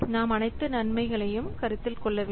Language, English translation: Tamil, We have to identify the expected benefits